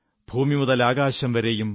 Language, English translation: Malayalam, From the earth to the sky,